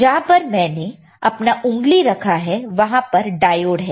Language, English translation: Hindi, Where my finger is there diode is there